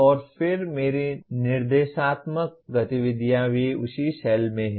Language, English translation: Hindi, And then my instructional activities also are in the same cell